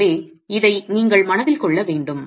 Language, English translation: Tamil, So, you need to keep this in mind